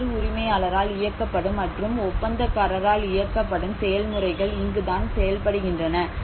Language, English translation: Tamil, So this is where the different owner driven and contractor driven processes work